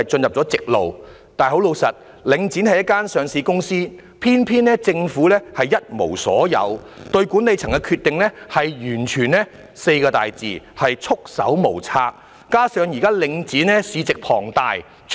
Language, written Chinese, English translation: Cantonese, 可是，坦白說，領展是一間上市公司，偏偏政府一無所有，對管理層的決定完全可用"束手無策"這4個字來形容。, In contrast frankly speaking Link REIT is a listed company and the Government controls nothing whatsoever in it so in respect of the decisions made by the Link Management it can be said that it is totally at its wits end